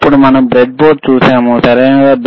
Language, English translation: Telugu, Then we have seen the breadboard, right